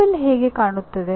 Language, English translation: Kannada, And how does the table look